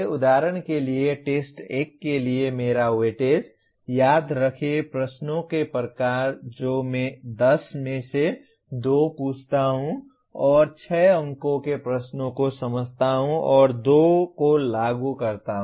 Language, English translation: Hindi, For example my weightage for test 1, Remember type of questions I ask 2 out of 10 and Understand 6 marks questions and Apply 2